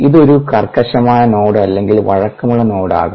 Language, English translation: Malayalam, it could be rigid node or flexible node